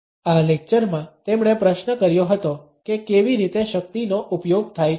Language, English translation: Gujarati, In this lecture he had questioned how power is exercised